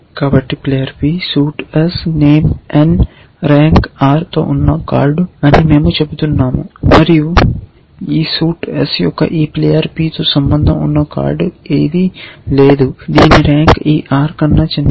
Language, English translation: Telugu, So, we are saying that card, player p, suite s, name n, rank r and there is no card with this player p of this suit, same suit s whose rank is smaller than this r